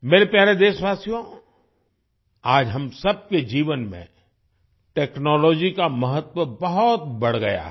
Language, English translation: Hindi, My dear countrymen, today the importance of technology has increased manifold in the lives of all of us